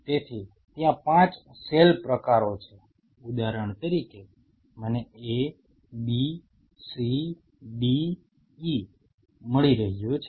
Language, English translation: Gujarati, So, there are 5 cell types say for example, I am getting A B C D E